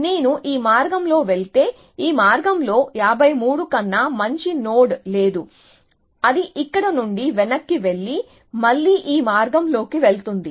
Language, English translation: Telugu, So, if I going down this path, there is no node better than 53 in this path, it will roll back from here, and go down this path again